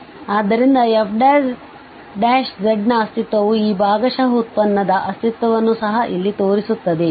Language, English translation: Kannada, So the existence of f prime z also shows here the existence of these partial derivative